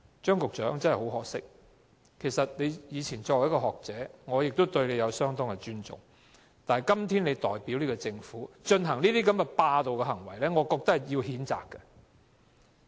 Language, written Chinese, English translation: Cantonese, 張局長，很可惜，你以前是學者，我對你相當尊重，但今天你代表政府進行霸道行為，我認為需要譴責。, It is a great pity that Secretary Anthony CHEUNG who was once a scholar whom I highly respected is now acting so overbearingly on behalf of the Government . Such acts should be reprimanded